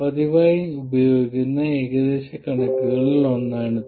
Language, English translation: Malayalam, This is one of the approximations that is frequently used